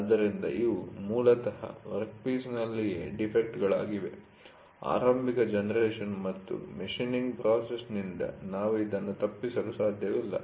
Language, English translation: Kannada, So, these are basically defects in the workpiece itself, we which cannot be avoided both by the process of initial generation and machining